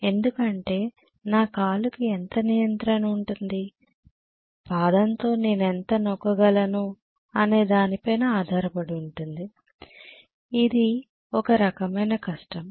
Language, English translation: Telugu, Because how much of control my leg can have, foot can have in terms of how much of pressing I am doing, it is kind of difficult